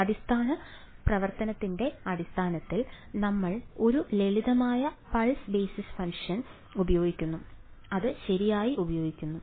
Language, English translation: Malayalam, Basis right in terms of basis function and we use a simple pulse basis function right